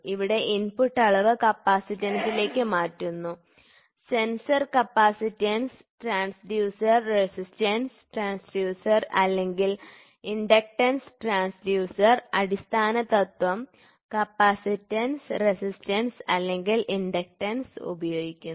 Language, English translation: Malayalam, So, here the input quantity is transfused into capacitance; sensor capacitance transducer, resistance transducer or inductance transducer, the basic principle is using capacitance, resistance or inductance